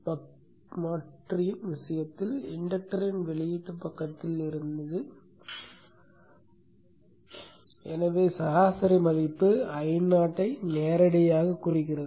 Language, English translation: Tamil, In the case the buck converter the inductor was on the output side and therefore the average value directly indicated I not